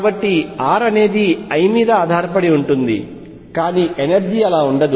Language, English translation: Telugu, So, r depends on l, but the energy does not